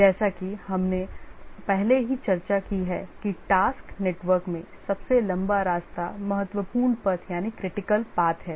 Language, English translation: Hindi, As we have already discussed that the longest path in the task network is the critical path